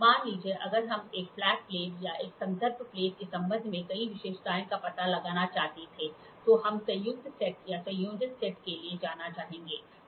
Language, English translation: Hindi, Suppose if we wanted to find out several features, the dimensions of several features with respect to one flat plate or one reference plane then we would like to go for combined set combination combined set or combination set